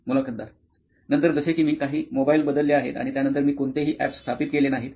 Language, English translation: Marathi, Then after that, like I have changed few mobiles that and then after that I did not install any apps